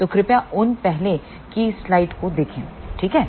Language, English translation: Hindi, So, please refer to those earlier slides, ok